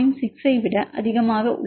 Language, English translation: Tamil, 6 or r is more than 0